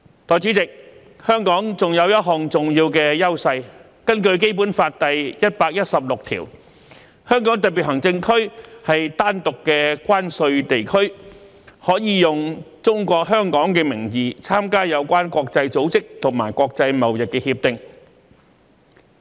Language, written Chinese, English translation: Cantonese, 代理主席，香港還有一項重要的優勢，根據《基本法》第一百一十六條，香港特別行政區是單獨的關稅地區，可以"中國香港"的名義參加有關國際組織和國際貿易協定。, Deputy President Hong Kong also has another important advantage . According to Article 116 of the Basic Law HKSAR is a separate customs territory and may participate in relevant international organizations and international trade agreements using the name Hong Kong China